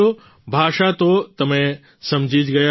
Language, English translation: Gujarati, you must have understood the language